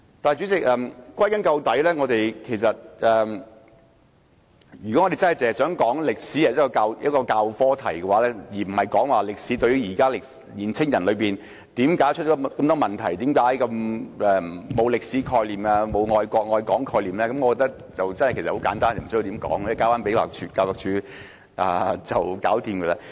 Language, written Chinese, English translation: Cantonese, 代理主席，歸根究底，如果我們只想談論中史科的事宜，而不是談論現時的青年人為何出了那麼多問題、為何他們沒有歷史和愛國愛港的概念，我覺得問題很簡單，無須多作討論，讓教育署解決即可。, Deputy President all in all if we only wish to discuss the issue about Chinese History instead of why so many things have gone wrong with young people today and why they have no concepts about history about loving the country and loving Hong Kong I think the matter is simple enough and we need not discuss further . Just leave it to the Education Department